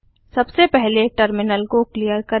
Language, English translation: Hindi, Lets clear the terminal first